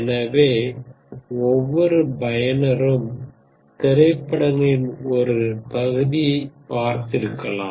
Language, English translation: Tamil, So each user has seen about a percent of the movies